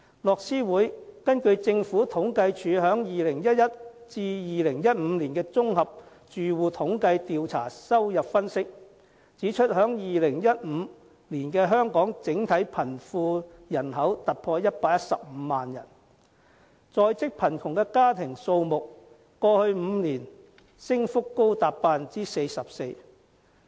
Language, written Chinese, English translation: Cantonese, 樂施會根據政府統計處在2011年至2015年綜合住戶統計調查的收入分析，指出在2015年香港整體貧窮人口突破115萬人，在職貧窮家庭數目在過去5年升幅高達 44%。, Based on the income analyses of the General Household Surveys conducted by the Census and Statistics Department from 2011 to 2015 Oxfam Hong Kong points out that the poverty population of Hong Kong exceeded 1.15 million in 2015 and the number of low - income working households has increased by 44 % over the past five years